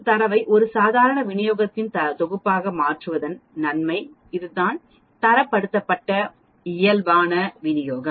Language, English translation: Tamil, That is the advantage of converting data the set of a Normal Distribution to Standardized Normal Distribution